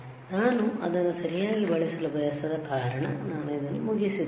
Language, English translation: Kannada, Because I do not want to use it right so, I am done with this